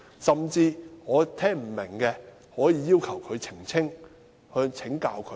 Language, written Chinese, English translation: Cantonese, 甚至我不明白的，可以要求他澄清，請教他。, Even if I do not understand I can ask him to clarify or consult him